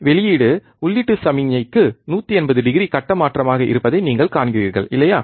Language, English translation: Tamil, You see that the output is 180 degree phase shift to the input signal, isn't it